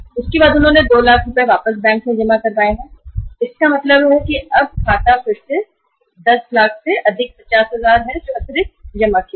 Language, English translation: Hindi, After that he has deposited 2 lakh rupees back in the bank so it means now the again account is 10 lakhs plus 50,000 which is extra he has deposited